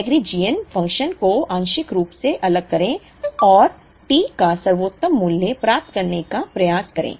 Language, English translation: Hindi, Setup the Lagrangian function partially differentiate and try to get the best value of T